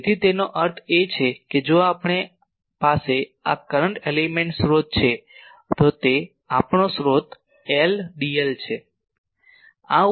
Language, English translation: Gujarati, So that means, if we have this current element source this is our source I